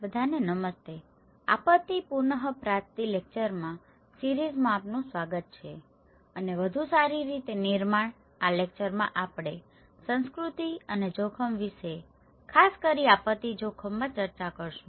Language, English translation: Gujarati, Hello everyone, welcome to the lecture series on disaster recovery and build back better, in this lecture we will discuss about culture and risk particularly in disaster risk